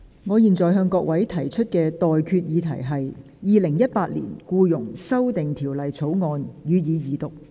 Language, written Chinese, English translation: Cantonese, 我現在向各位提出的待決議題是：《2018年僱傭條例草案》，予以二讀。, I now put the question to you and that is That the Employment Amendment Bill 2018 be read the Second time